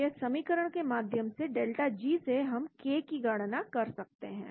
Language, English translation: Hindi, So from delta G we should be able to calculate K from this equation